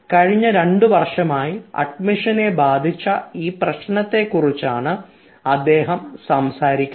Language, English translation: Malayalam, this has badly affected the admission process for the last two years